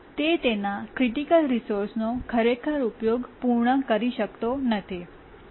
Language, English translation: Gujarati, It cannot really complete its uses of the critical resource